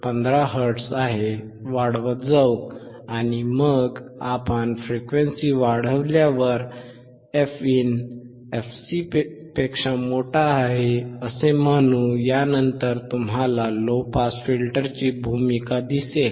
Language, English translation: Marathi, And then when we increase the frequency, let us say fin is greater than fc then you will see the role of the low pass filter